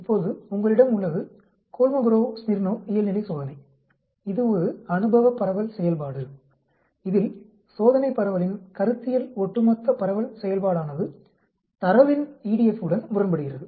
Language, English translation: Tamil, Now you have the Kolmogorov Smirnov normality test, it is an empirical distribution function in which the theoretical cumulative distribution function of the test distribution is contrasted with the EDF of the data